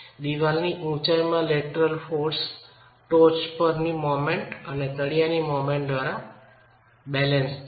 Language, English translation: Gujarati, The lateral force into the height of the wall is equilibrated by the moment at the top and the moment at the bottom